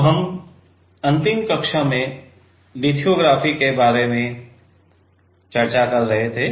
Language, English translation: Hindi, So, we are in the last class, we were discussing about lithography right